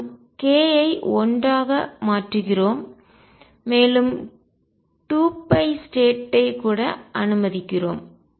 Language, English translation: Tamil, We change k by unity and even allow 2 pi states